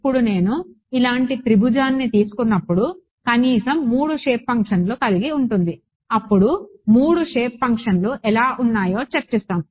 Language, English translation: Telugu, Now, when I take a triangle like this right the bare minimum would be 3 shape functions, then we will discuss how there are 3 shape functions right